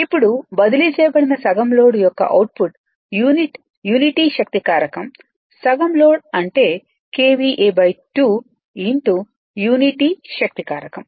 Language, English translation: Telugu, Now, when output of transferred half load with unity power factor half load means KVA by 2 right into your of unity power factor 1